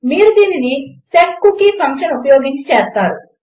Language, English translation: Telugu, You do this by using the setcookie function